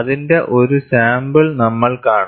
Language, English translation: Malayalam, We have, we will just see a sample of it